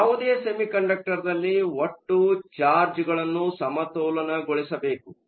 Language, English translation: Kannada, In any semiconductor, the total charge should be balanced